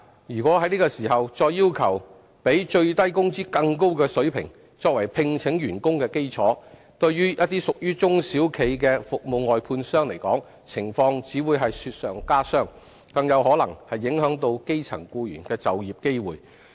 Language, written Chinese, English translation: Cantonese, 如在此時再要求比最低工資更高的水平，作為聘請員工的基礎，對於一些屬於中小企的服務外判商而言，情況只會雪上加霜，更有可能影響基層僱員的就業機會。, If we require those outsourced service contractors which are small and medium enterprises to offer wage levels higher than the statutory minimum wage as the basis of recruitment now it will only add to their difficulties and may even affect the employment opportunities of grass - roots employees